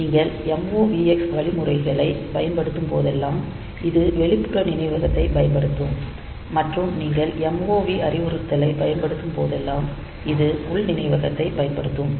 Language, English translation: Tamil, So, if you are using MOVX then it will be using this external memory if you are using MOV it will be using this internal memory